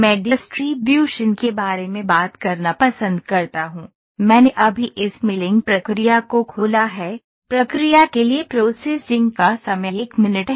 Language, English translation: Hindi, I like to talk about the distributions, ok I have just open this milling process the processing time is 1 minute